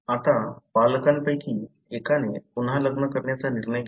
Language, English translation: Marathi, Now, one of the parents decides to remarry